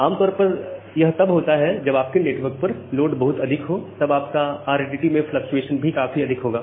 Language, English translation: Hindi, So, it happens normally at high load so when your network load is very high your RTT fluctuation will become high